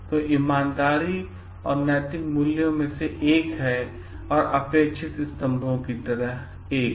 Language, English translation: Hindi, So, honesty is one of the expected pillars of ethical values